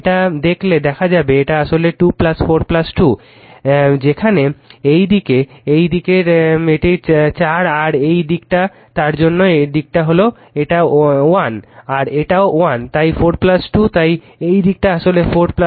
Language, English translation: Bengali, So, this is actually your into 2 plus 4 plus 2, where in this side this side this side it is 4 and this side is for your what you call this side it is 1 and this is also 1 so, 4 plus 2 so, this side actually 4 plus 2